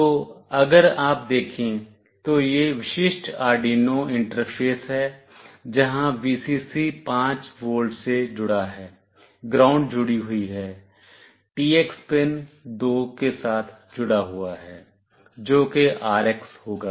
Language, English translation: Hindi, So, this is the typical Arduino interface if you see, where Vcc is connected to 5 volt, ground is connected, TX is connected with pin 2, which will be the RX